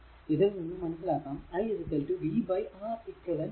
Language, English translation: Malayalam, So, that is what I told v is equal to i into Req